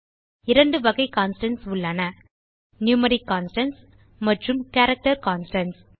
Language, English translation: Tamil, There are two types of constants , Numeric constants and Character constants